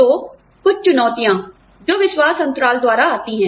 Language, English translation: Hindi, So, some challenges, that are posed by, the trust gap